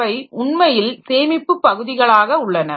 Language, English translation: Tamil, So, they are actually the storage part